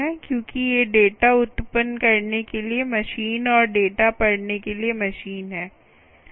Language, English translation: Hindi, because these are meant for machines to read, machines to generate, machine to generate data and machine to read data